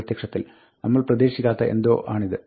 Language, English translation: Malayalam, This is apparently something that we did not expect